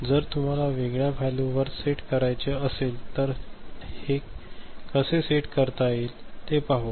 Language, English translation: Marathi, If you want to set it to a different value, we shall see, how it can be set